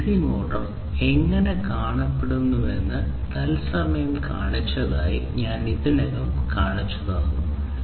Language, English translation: Malayalam, And I already show you showed you live the how a dc motor looks like